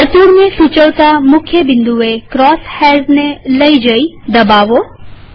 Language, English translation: Gujarati, Move the cross hairs to a key point that indicates the circle and click